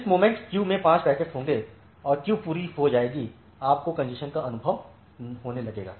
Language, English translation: Hindi, The moment there will be 5 packets in the queue and the queue become full, you will start experiencing congestion